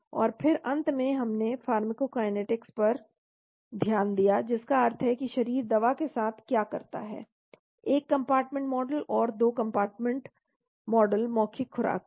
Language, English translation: Hindi, And then finally we looked at the pharmacokinetics that means what the body does to the drug one compartment model and 2 compartment model with oral dosage